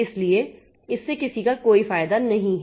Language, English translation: Hindi, So, it is of no use to anybody